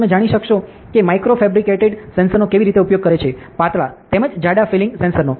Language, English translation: Gujarati, You can also know how micro fabricated sensors using thin as well as thick filling sensors are widely used, ok